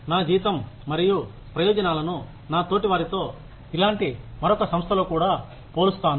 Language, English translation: Telugu, I will also compare my salary and benefits, with my peers, in another similar organization